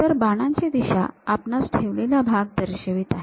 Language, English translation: Marathi, So, the direction of arrow represents the retaining portion